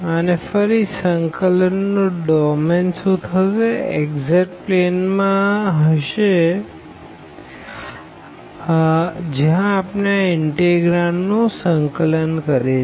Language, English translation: Gujarati, And, again the domain of the integration will be in the xz plane where we are integrating the will be integrating this integrand